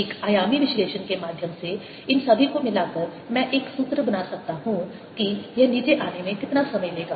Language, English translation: Hindi, combining all this through a dimensional analysis i can create a formula for time that it will take to come down